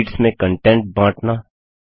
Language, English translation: Hindi, Sharing content between sheets